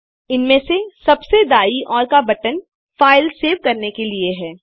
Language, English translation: Hindi, The right most among them is for saving the file